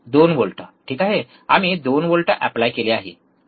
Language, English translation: Marathi, 2 volts, alright so, we applied 2 volts, alright